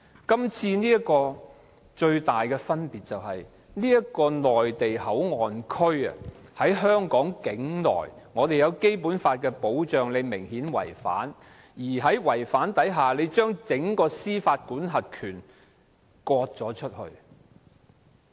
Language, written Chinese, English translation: Cantonese, 今次最大的分別是內地口岸區設在香港境內，我們在香港受到《基本法》的保障，但這個做法明顯違反《基本法》，將整個司法管轄權割出去。, The major difference this time is that MPA is situated within Hong Kong territory . We are protected by the Basic Law in Hong Kong but this arrangement that cedes the jurisdiction clearly contravenes the Basic Law